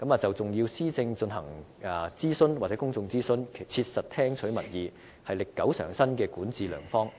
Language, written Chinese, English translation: Cantonese, 就重要的施政進行公眾諮詢，切實聽取民意，是歷久常新的管治良方。, But a long - standing and effective way of governance is to conduct public consultations and practically listen to public opinions with respect to some policies of significance